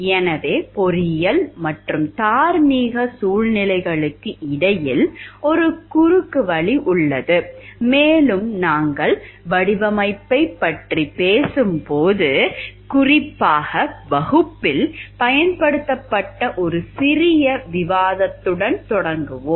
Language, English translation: Tamil, So, there is a crossing between engineering and moral situations and we will specifically in terms of while you are talking of designing and we will start with a small discussion that has been used by Heard in the class